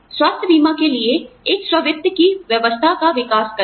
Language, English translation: Hindi, Develop a self funding arrangement, for health insurance